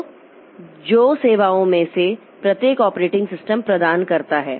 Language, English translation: Hindi, So, each of these services that the operating system provides